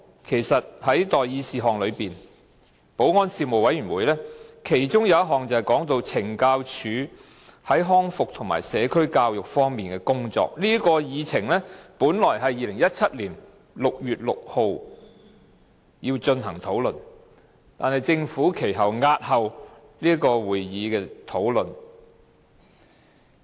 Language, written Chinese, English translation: Cantonese, 其實，保安事務委員會其中一項待議事項，是懲教署在康復和社區教育方面的工作，這項議程本來是在2017年6月6日進行討論，但政府押後這事項的討論。, In fact on the list of outstanding items for discussion by the Panel on Security there is an item related to the work of the Correctional Services Department CSD on rehabilitation services and community education . This item was originally scheduled to be discussed on 6 June 2017 . The Administration however postponed the discussion of this item